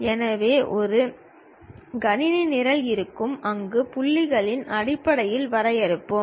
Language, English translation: Tamil, So, there will be a computer program where we we will define based on the points